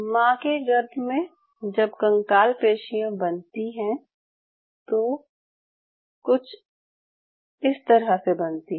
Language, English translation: Hindi, Now in the mother's womb, the way skeletal muscle is formed something like this